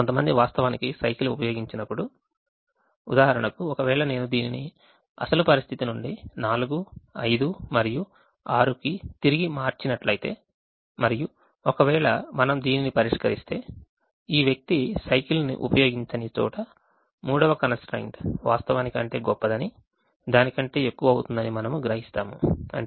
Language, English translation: Telugu, in the other one, when some one person was actually not using the bicycle, we realise that, for example, if i change this batch to four, five and six, which was the original situation and if we solve the where is person does not use, you would realise that the third constraint is actually a greater than becomes